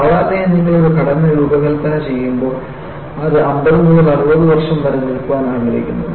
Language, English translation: Malayalam, Now, normally when you design a structure, you want it to come for 50 to 60 years